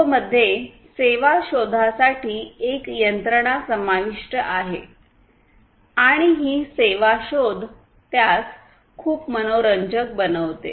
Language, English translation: Marathi, So, CoAP includes a mechanism for service discovery and it is this service discovery that makes it very interesting